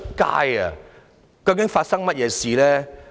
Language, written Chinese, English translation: Cantonese, "究竟發生了甚麼事？, What on earth has happened?